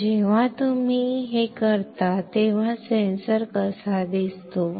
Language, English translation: Marathi, So when you do this, how the sensor looks like